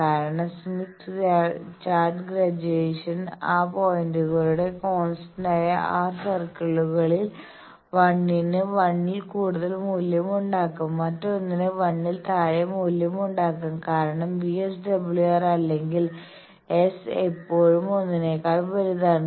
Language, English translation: Malayalam, Because in the Smith Chart graduation there will be 2 such circles at those points' constant r circles, but 1 of them will be having value more than 1, another of them will be having value less than 1 because VSWR or s is always greater than one